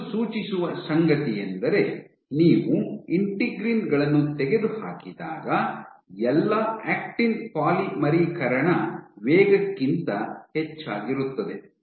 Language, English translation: Kannada, So, what this suggests is that when you remove the integrins over all the actin polymerization rate